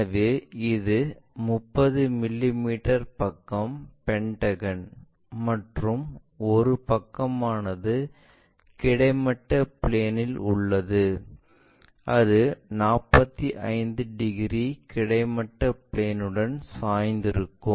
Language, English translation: Tamil, So, it is a pentagon of 30 mm side and one of the side is resting on horizontal plane, on one of its sides with its surfaces 45 degrees inclined to horizontal plane